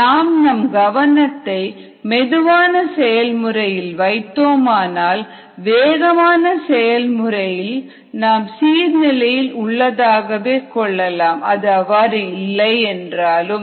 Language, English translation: Tamil, if you focus on the slower process, then the much faster process can be assume to be a steady state, whether it is actually a steady state or not